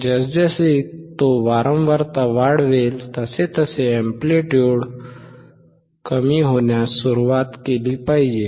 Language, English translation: Marathi, As he increases the frequency the amplitude should start decreasing